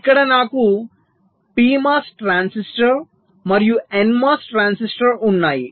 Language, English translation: Telugu, so here i have a p mos transistor and n mos transistor